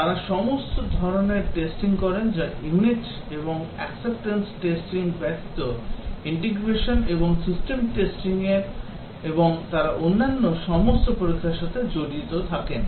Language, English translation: Bengali, The Testing they do all types of testing that is integration and system testing excepting the unit and acceptance testing they are involved in all other testing